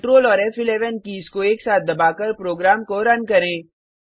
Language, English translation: Hindi, Let meRun the program by pressing Control and F11 keys simultaneously